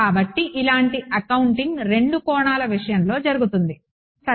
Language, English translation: Telugu, So, similar accounting happens in the case of two dimensions ok